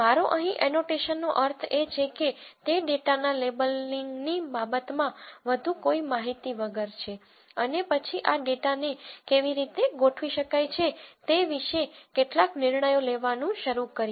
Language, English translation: Gujarati, What I mean by annotation here is without any more information in terms of labelling of the data and then start making some judgments about how this data might be organized